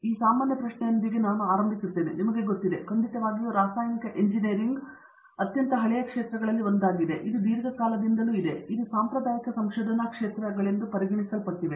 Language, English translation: Kannada, So, let me begin with this general question, what are you know, of course chemical engineering is one of the old fields of engineering has been around for a long time, what are typically considered as a traditional areas of research which have been there for a very long time in chemical engineering